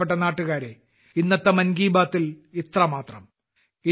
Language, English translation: Malayalam, My dear countrymen, that's all for today in 'Mann Ki Baat'